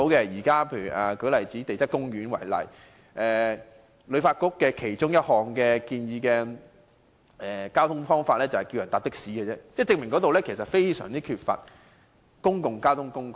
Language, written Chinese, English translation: Cantonese, 以前往地質公園為例，旅發局建議的其中一種交通方法是乘坐的士，足以證明該景點缺乏公共交通工具。, In the case of Geopark taxi is one of the transport modes recommended by HKTB reflecting the lack of public transport to this scenic spot